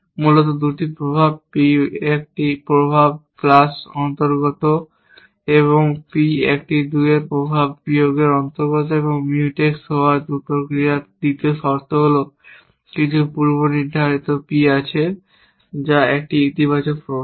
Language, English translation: Bengali, Essentially, 2 effects P belongs to effects plus of a 1 and P belongs to effects minus of a 2, the second condition for two actions to be Mutex is that there is some predicate P which is a positive effect of